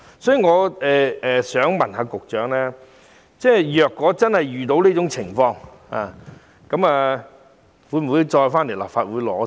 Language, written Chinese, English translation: Cantonese, 所以，我想問局長如真的遇到這種情況，當局會否再向立法會申請撥款？, I would therefore like to ask the Secretary If such a situation really arises will the authorities seek funding again from the Legislative Council?